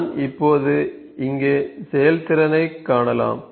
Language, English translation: Tamil, I can now see the throughput here